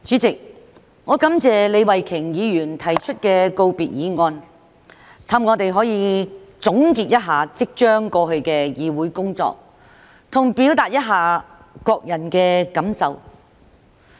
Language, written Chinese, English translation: Cantonese, 主席，我感謝李慧琼議員提出告別議案，讓我們可以總結一下即將過去的議會工作，以及表達一下各人的感受。, President I thank Ms Starry LEE for proposing the valedictory motion so that we can sum up our Council work which is about to come to an end and express our feelings